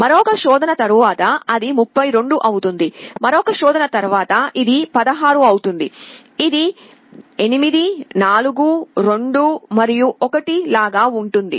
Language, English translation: Telugu, After another search, it becomes 32, after another search it becomes 16, like this 8 4 2 and 1